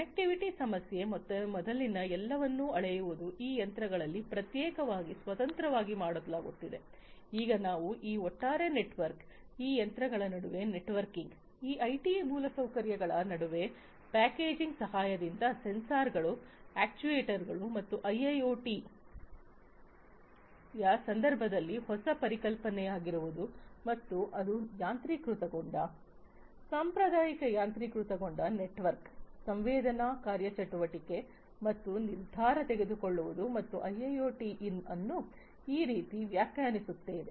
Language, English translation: Kannada, Connectivity issue and scaling up earlier everything was die being done individually in these machines in a standalone fashion now we are talking about this overall networked, you know, networking among these machines, among these IT infrastructure with the help of packaging with sensors actuators etc and that is what has become the newer concept in the context of a IIoT and it is still, you know, it is basically automation, the traditional automation plus network sensing actuation and decision making and I would think I would define IIoT to be this way